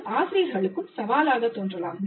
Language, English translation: Tamil, So this also may look challenging to the faculty